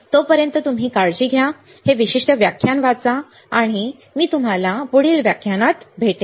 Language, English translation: Marathi, So, till then you take care; read this particular lecture, and I will see you in the next lecture